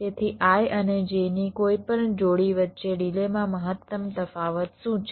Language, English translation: Gujarati, so what is the maximum difference in the delays between any pair of i and j